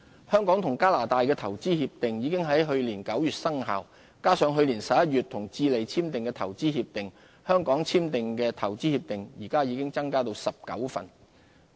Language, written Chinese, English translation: Cantonese, 香港與加拿大的投資協定已於去年9月生效，加上去年11月與智利簽署的投資協定，香港簽訂的投資協定現已增至19份。, The IPPA between Hong Kong and Canada entered into force last September . Together with that concluded with Chile last November the number of IPPAs signed by Hong Kong has increased to 19